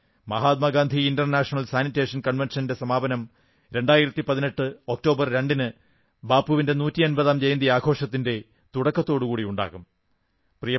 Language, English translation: Malayalam, Mahatma Gandhi International Sanitation Convention will conclude on 2nd October, 2018 with the commencement of Bapu's 150th Birth Anniversary celebrations